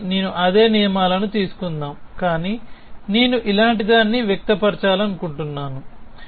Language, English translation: Telugu, So, let me take the same rules, but I want to express something like this